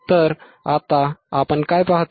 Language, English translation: Marathi, And what we see here